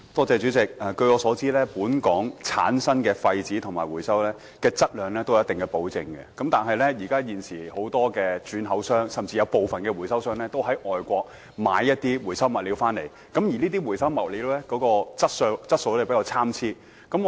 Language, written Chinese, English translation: Cantonese, 主席，據我所知，本港產生和回收的廢紙質量有一定保證，但現時很多轉口商以至部分回收商仍會在外地購買回收物料，而這些回收物料的質素比較參差。, President as far as I understand it the quality of waste paper generated and recycled in Hong Kong is assured . However many re - exporters and some recyclers purchase recyclables from overseas of which the quality varies